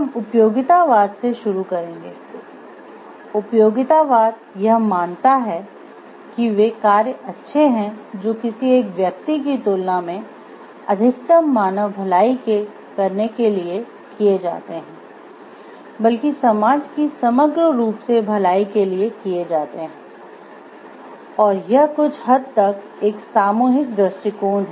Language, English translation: Hindi, We will start with utilitarianism, utilitarianism holds that those actions are good that serve to maximize human wellbeing emphasized in utilitarianism is not a maximizing the wellbeing of the individual, but rather on maximizing the wellbeing of the society as a whole and as such it is somewhat of a collectivist approach